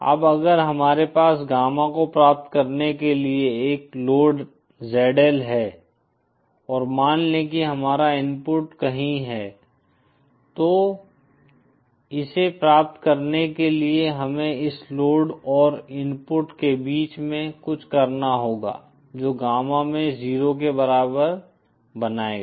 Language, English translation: Hindi, Now if we have a load ZL for achieving gamma in and suppose our input is somewhere here then for achieving this we have to have something in between this load and the input which will create the gamma in equal to 0